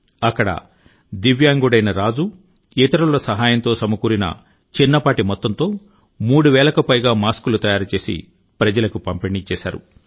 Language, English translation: Telugu, Divyang Raju through a small investment raised with help from others got over three thousand masks made and distributed them